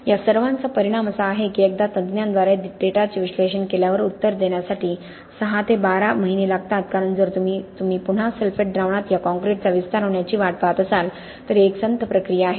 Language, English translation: Marathi, The upshot of all this is that once the data is analysed by an expert it takes 6 to 12 months to provide an answer because again if you are looking waiting for this concrete to expand in the sulphate solution it is a slow process, how do you simulate this or how do you simulate other conditions of the field in the lab